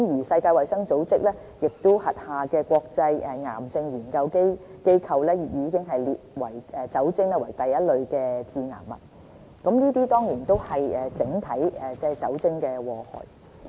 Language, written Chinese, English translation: Cantonese, 世界衞生組織轄下的國際癌症研究機構，已將酒精列為第一類致癌物，這些都是酒精整體的禍害。, The International Agency for Research on Cancer under the World Health Organization WHO has already classified alcohol as a Group 1 carcinogen . These are the overall effects of alcohol consumption